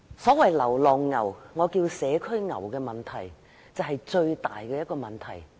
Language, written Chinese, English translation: Cantonese, 所謂流浪牛，我稱為社區牛的問題，就是最大的問題。, The problem with stray cattle which I call community cattle is most serious